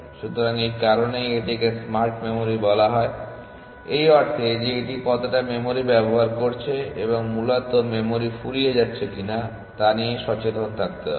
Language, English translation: Bengali, So, that is why it is called smart memory in the sense it is aware of how much memory it is using and